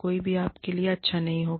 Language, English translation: Hindi, Nobody will be, nice to you